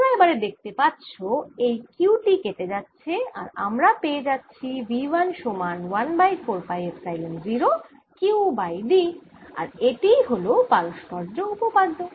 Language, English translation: Bengali, now you can see that this q cancels and i get v one equals one over four pi, epsilon zero, q over d, and that's the reciprocity theorem